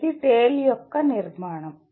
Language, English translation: Telugu, This is the structure of the TALE